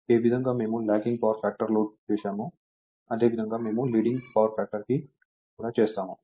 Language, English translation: Telugu, So the way, we have done Lagging Power Factor Load, same way we will do it your Leading Power Factor